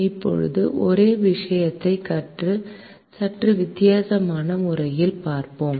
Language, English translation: Tamil, now let us look at the same thing from a slightly different way now